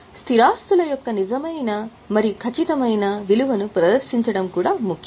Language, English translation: Telugu, It is equally true to present the true and fair value of fixed assets